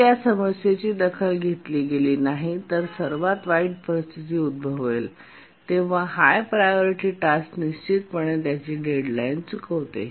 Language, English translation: Marathi, If the problem is not taken care, then in the worst case, when the worst case situation arises, definitely the high priority task would miss its deadline